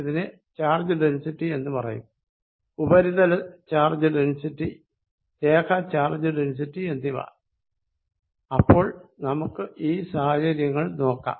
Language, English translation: Malayalam, This is known as the charge density, this is known as surface charge density, this is linear charge density, so let us consider these cases